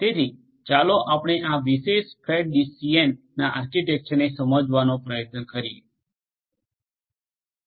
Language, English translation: Gujarati, So, let us try to understand this particular fat tree DCN architecture